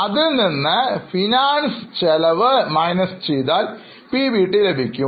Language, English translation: Malayalam, After you deduct finance cost, you get PBT